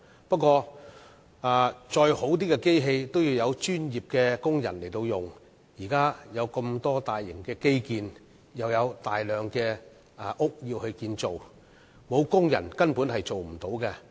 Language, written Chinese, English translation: Cantonese, 不過再好的機器也需要有專業的工人運用，現時有很多大型基建正在施工，又有大量建屋需要，欠缺工人便無法成事。, Yet the best machines must be operated by workers who possess the professional expertise . In view of the many large - scale infrastructure projects now in progress and the enormous demand for housing the shortage of workers will make the completion of these projects impossible